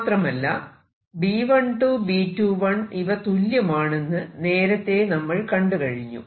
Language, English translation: Malayalam, And we also saw that B 12 was same as B 21 so I am going to call this B